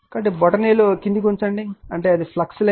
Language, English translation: Telugu, So, thumb it moving downwards I mean this is the flux line